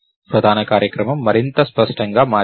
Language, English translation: Telugu, The main program became much cleaner